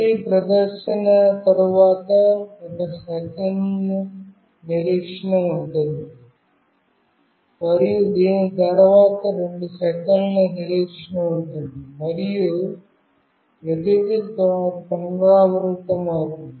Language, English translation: Telugu, Then after every display there is a wait of 1 second, and after this there is a wait of 2 seconds, and everything repeats